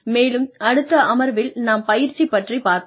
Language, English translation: Tamil, And, in the next session, we will cover training